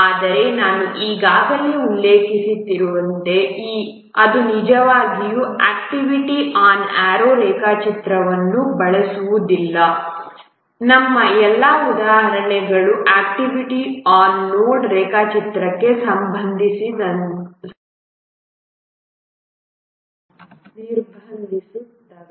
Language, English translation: Kannada, But as I already mentioned that we will not really use activity on RO diagram, all our examples will restrict activity on node diagrams